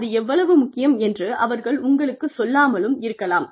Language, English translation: Tamil, They may not tell you, how important it is